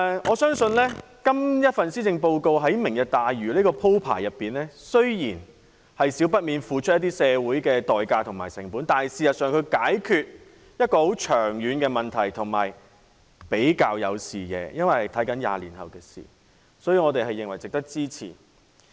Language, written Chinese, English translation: Cantonese, 我相信這份施政報告提出的"明日大嶼"計劃，雖然不免要社會付出成本，但事實上在解決一個長遠的問題，也比較有視野，因為着眼的是20年後的事，所以我們認為值得支持。, In my opinion though Lantau Tomorrow proposed in the Policy Address will inevitably involve some social costs it serves to resolve a long - standing problem and sets a vision looking ahead to 20 years from now . I therefore deem it worth supporting